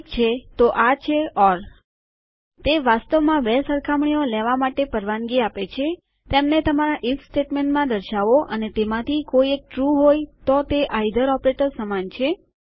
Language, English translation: Gujarati, Basically it allows you to take two comparisons, show them in your if statement and if either of them are true then its like an either operator..